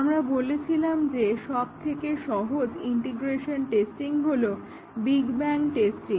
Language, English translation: Bengali, We said that the simplest integration testing is big bang testing